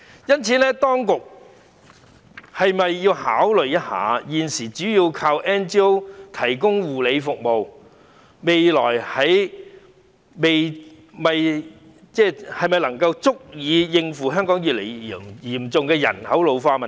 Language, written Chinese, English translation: Cantonese, 因此，當局是否要考慮一下，現時主要靠 NGO 提供護理服務的安排是否足以應付香港越來越嚴重的人口老化問題？, Hence the authorities should consider whether the present arrangement of relying mainly on non - governmental organizations for providing care services can cope with Hong Kongs increasingly serious problem of population ageing